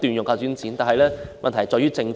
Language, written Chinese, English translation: Cantonese, 可是，問題在於政府。, Yet the problems lie with the Government